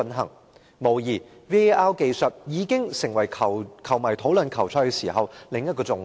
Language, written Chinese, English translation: Cantonese, 毫無疑問 ，VAR 技術已經成為球迷討論球賽時的另一個焦點。, The VAR technology has undoubtedly become another focus in football fans discussions on matches